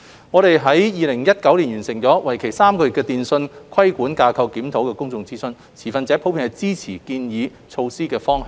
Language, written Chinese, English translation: Cantonese, 我們於2019年完成為期3個月的"電訊規管架構檢討"公眾諮詢，持份者普遍支持建議措施的方向。, In 2019 we completed a three - month public consultation on the Review of Telecommunications Regulatory Framework and the stakeholders were generally supportive of the direction of the proposed measures